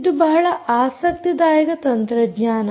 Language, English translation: Kannada, so this is a very interesting technology